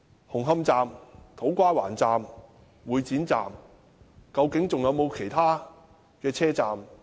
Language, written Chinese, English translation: Cantonese, 紅磡站、土瓜灣站、會展站都出現問題，究竟還有沒有其他車站亦有問題？, There are problems with Hung Hom Station To Kwa Wan Station and Exhibition Centre Station . Are there any problems with other stations?